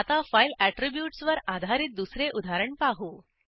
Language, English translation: Marathi, Now, let us see another example based on file attributes